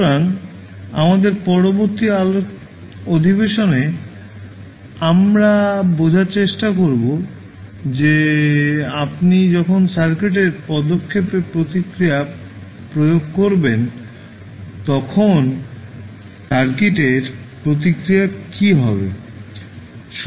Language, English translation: Bengali, So, in the later session of our discussion we will try to understand that what will happen to the circuit response when you apply step response to the circuit